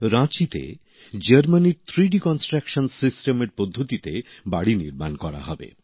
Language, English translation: Bengali, In Ranchi houses will be built using the 3D Construction System of Germany